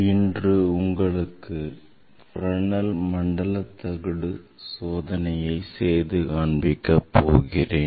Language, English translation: Tamil, today I will demonstrate Fresnel Zone plate experiment orbital zone plate experiment